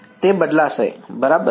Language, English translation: Gujarati, It will change right